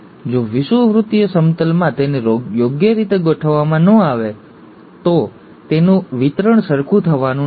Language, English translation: Gujarati, If it is not properly arranged in the equatorial plane, the distribution is not going to be equal